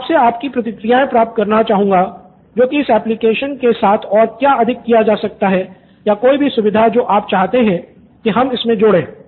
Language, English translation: Hindi, I would like to get some feedbacks from your side what more can be done with the application or any feature you want it to add more than what it has